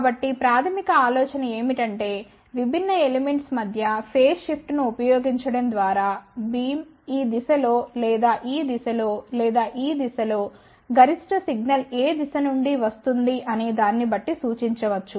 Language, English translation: Telugu, So, basic idea is that by using the phase shift between the different elements so, the beam can point in this direction or in this direction or in this direction depending upon from which direction maximum signal is coming